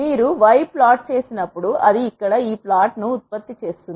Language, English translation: Telugu, When you plot y it will generate this plot here